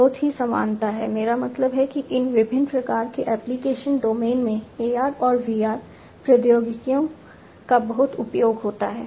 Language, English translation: Hindi, There is lot of similarity I mean there is lot of use of AR and VR technologies in these different types of application domains